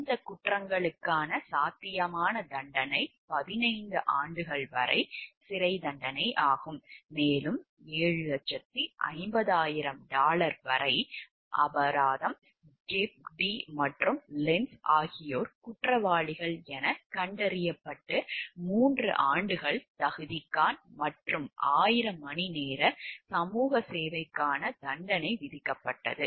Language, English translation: Tamil, The potential penalty for these crimes were up to 15 years in prison, and a fine of up to dollar 7,50,000 Gepp Dee and Lentz were each found guilty and sentenced to 3 years’ probation and 1000 hours of community service